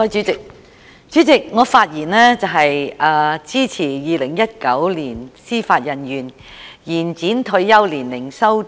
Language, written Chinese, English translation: Cantonese, 主席，我發言支持《2019年司法人員條例草案》。, President I speak in support of the Judicial Officers Amendment Bill 2019